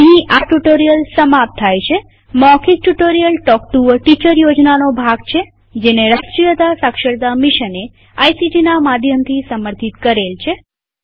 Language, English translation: Gujarati, This brings us to the end of this spoken tutorial.Spoken Tutorials are a part of the Talk to a Teacher project, supported by the National Mission on Education through ICT